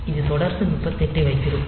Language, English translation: Tamil, So, it will continue to hold 38 h